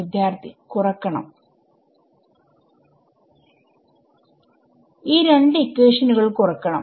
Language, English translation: Malayalam, Subtract these two equations